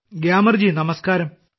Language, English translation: Malayalam, Gyamar ji, Namaste